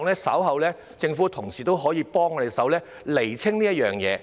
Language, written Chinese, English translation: Cantonese, 我希望政府同事稍後可以幫助我們釐清這件事。, I hope colleagues of the Government can help us clarify this matter later on